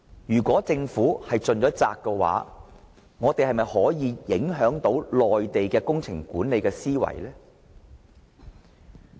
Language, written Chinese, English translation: Cantonese, 既然政府已盡了責，我們又是否能夠影響內地的工程管理思維呢？, If the Government has already performed its duty have we been able to influence the project management mindset of the Mainland?